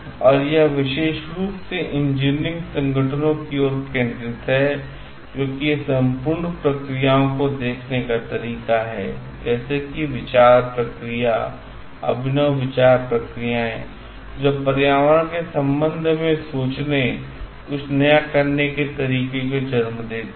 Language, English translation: Hindi, And it more specifically towards the engineering organisations because it is a way of looking at the whole perspective bringing in like thought processes, innovative thought processes which gives rise to a totally new way of thinking and doing with respect to the environment